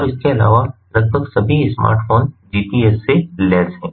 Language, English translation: Hindi, and, additionally, almost all smartphones are equipped with gps